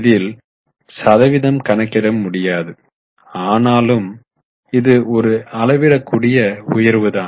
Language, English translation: Tamil, So you can't calculate percentage but it's a sizable increase